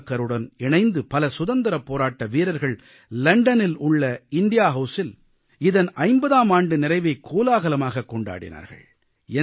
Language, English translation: Tamil, Savarkaralong with his band of brave hearts celebrated the 50thanniversary of the First War of Independence with great fanfare at India house in London